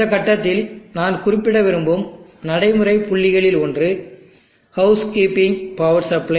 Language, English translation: Tamil, One of the practical points that I would like to mention at this point is housekeeping power supply